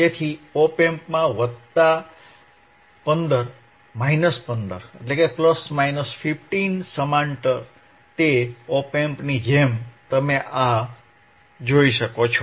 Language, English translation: Gujarati, So, plus 15 minus 1 15, plus 15 and minus 15, across the op amp, across the op amp, as you can see this